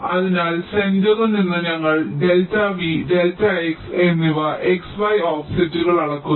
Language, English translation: Malayalam, so from the center we are measuring delta v, delta x as the x and y offsets